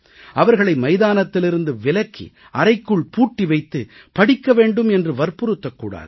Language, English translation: Tamil, They should not be forced off the playing fields to be locked in rooms with books